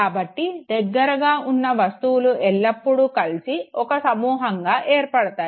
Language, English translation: Telugu, So objects which are nearer to each other they always tend to form a group